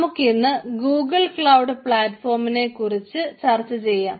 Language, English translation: Malayalam, so today we will discuss about ah google cloud platform